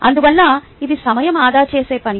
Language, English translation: Telugu, hence it is a time saving task